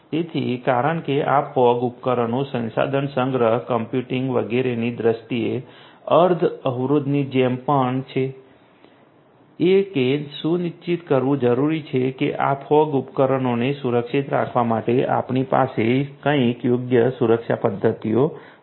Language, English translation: Gujarati, So, these fog devices because they are also like semi constrained in terms of resources storage computing etcetera will have to ensure that we have some you know suitable protection mechanisms in place for protecting these fog devices